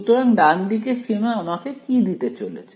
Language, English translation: Bengali, So, right limit is going to give me what